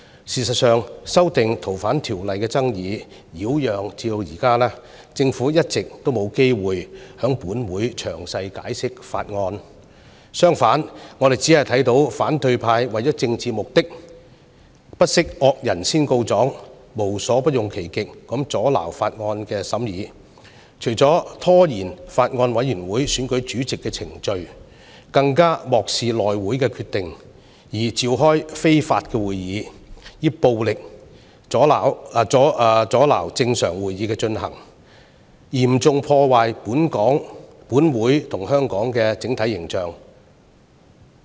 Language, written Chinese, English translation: Cantonese, 事實上，《條例草案》的爭議擾攘至今，政府一直沒有機會在本會詳細解釋《條例草案》，相反，我們只看到反對派為了政治目的，不惜惡人先告狀，無所不用其極地阻撓《條例草案》的審議，除了拖延法案委員會選舉主席的程序，更漠視內務委員會的決定，召開非法會議，以暴力阻撓正常會議的進行，嚴重破壞本會和香港的整體形象。, In fact the Government has not had the opportunity to give a detailed explanation on the Bill in the Council until now after all the chaos . In the meanwhile we can see that the opposition camp shifted the blame and exhausted all means to hinder the scrutiny of the Bill for political purposes . Not only did they delay the procedure for the election of Chairman for the Bills Committee they also ignored the decision of the House Committee held unlawful meetings and violently obstructed the proceedings of the official meetings